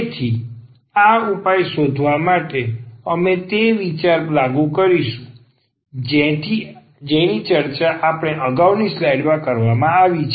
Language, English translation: Gujarati, So, to find this particular solution, we will apply the idea which is discussed in the previous slide